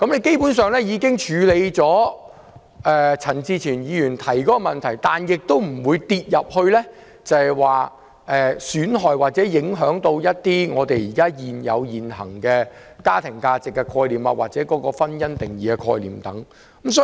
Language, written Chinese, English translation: Cantonese, 基本上，這樣便可處理陳志全議員提出的問題，同時又不會損害或影響我們現行的家庭價值或"婚姻"的定義。, Basically this will solve the problem raised by Mr CHAN Chi - chuen on the one hand and not undermine or affect our existing family values or the definition of marriage on the other